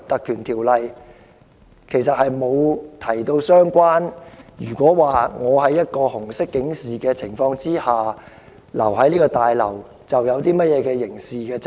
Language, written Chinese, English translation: Cantonese, 《條例》沒有條文訂明，如果有人在紅色警示生效期間逗留在綜合大樓內會有刑事責任。, The Ordinance does not contain any provisions stipulating that anyone who remains in the LegCo Complex when the Red alert is in force will be held criminally liable